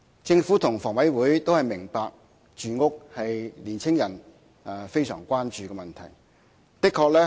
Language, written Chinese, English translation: Cantonese, 政府和香港房屋委員會都明白，住屋是青年人非常關注的問題。, Both the Government and the Hong Kong Housing Authority HKHA understand that housing is a prime concern to young people